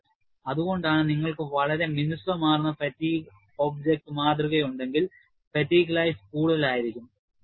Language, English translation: Malayalam, So, that is why, if you have a highly smooth fatigue object, the specimen, its fatigue life will be more